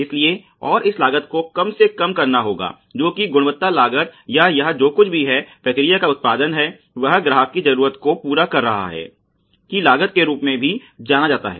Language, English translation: Hindi, So, and this costs has to be over all minimized which are also known as quality costs or costs in order to ensure that whatever is the output of the process is meeting the customer need